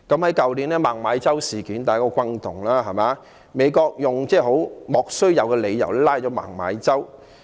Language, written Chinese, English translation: Cantonese, 去年的孟晚舟事件相當轟動，美國用莫須有的理由拘捕孟晚舟。, The MENG Wanzhou incident last year was a considerable sensation . The United States arrested MENG Wanzhou on unwarranted grounds